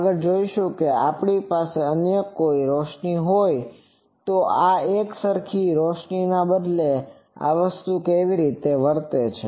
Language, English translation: Gujarati, In the next, we will see that instead of uniform illumination if we have some other illumination, how this thing behaves